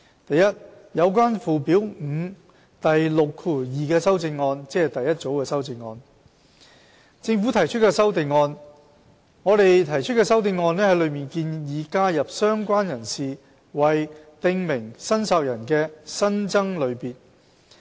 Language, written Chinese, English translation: Cantonese, a 有關附表5第62條的修正案在政府提出的修正案方面，我們提出的修正案建議加入"相關人士"為"訂明申索人"的新增類別。, a Amendments in relation to section 62 of Schedule 5 The amendments proposed by the Government seek to add related person as an additional category of prescribed claimant